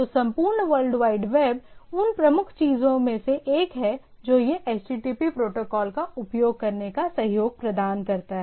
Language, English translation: Hindi, So, the whole World Wide Web is one of the predominant things which is, which makes it happening is this HTTP protocol